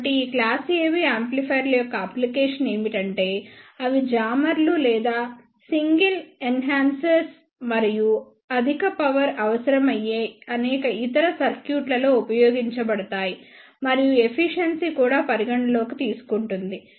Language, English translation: Telugu, So, the application of these class AB amplifiers are they can be used in the chambers or single enhancers and in many other circuits wherever high power is required and efficiency is also one of the consideration